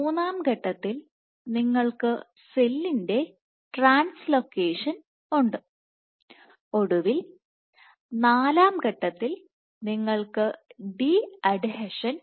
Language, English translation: Malayalam, So, in step 3 you have translocation of the cell body and finally, in step 4 you have de adhesion